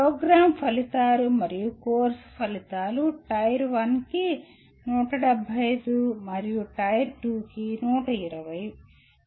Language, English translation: Telugu, Program outcomes and course outcomes 175 for Tier 1 and 120 for Tier 2